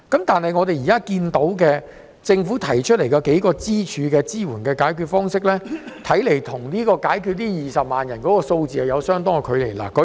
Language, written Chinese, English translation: Cantonese, 但是，政府提出的數個主要支援方式，似乎與解決20萬人的就業問題有相當的距離。, However the several major assistance schemes proposed by the Government seem to be far from resolving the employment of these 200 000 people